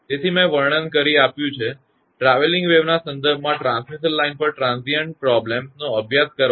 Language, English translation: Gujarati, Now, I have given the description; now to study transient problems on a transmission line in terms of travelling waves